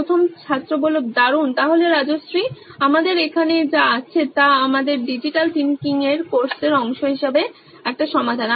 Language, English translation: Bengali, Great, So Rajshree what we have here is a solution as part of our design thinking course